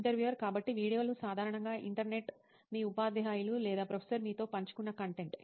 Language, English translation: Telugu, So videos, the Internet generally, content that your teachers or prof have shared with you